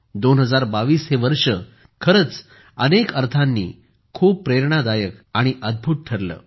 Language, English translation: Marathi, 2022 has indeed been very inspiring, wonderful in many ways